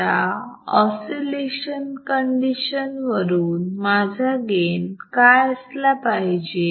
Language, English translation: Marathi, Now according to the oscillation conditions what should be my gain